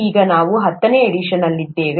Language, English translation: Kannada, Now we are in the tenth edition